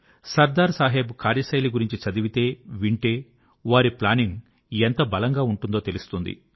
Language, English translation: Telugu, When we read and hear about Sardar Saheb's style of working, we come to know of the sheer magnitude of the meticulousness in his planning